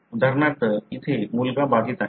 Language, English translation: Marathi, For example, here the son is affected